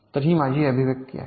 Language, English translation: Marathi, so this is my expression